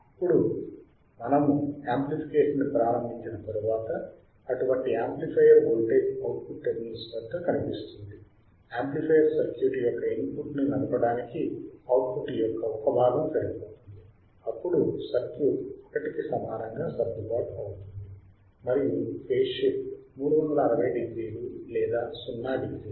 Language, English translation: Telugu, Now, once we start the amplification such amplifier voltage appears at the output terminals, a part of output is sufficient to drive the input of the amplifier circuit, then the circuit adjusted itself to equal to 1, and phase shift is 360 degree or 0 degree